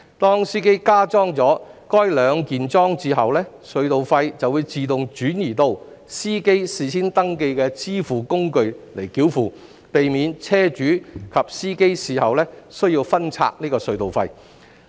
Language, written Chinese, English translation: Cantonese, 當司機加裝了該兩件式裝置後，隧道費便會自動轉移到司機事先登記的支付工具繳付，避免車主及司機事後需要分拆隧道費。, With the two - piece device installed the tunnel tolls will automatically be charged to the payment instruments pre - registered by the drivers concerned thus avoiding the need for the vehicle owners and the drivers to split the tunnel tolls afterwards